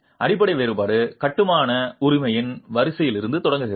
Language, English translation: Tamil, The fundamental difference starts from the sequence of construction